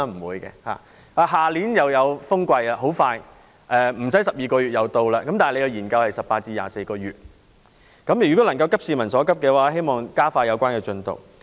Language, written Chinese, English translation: Cantonese, 明年又有颱風季節，不用等12個月便來到，但該研究需時18個月至24個月，希望政府能急市民所急，加快研究進度。, The typhoon season of next year will arrive within 12 months time . However the studies will take about 18 to 24 months . I hope that the Government will share the publics urgent concern and expedite the progress of its studies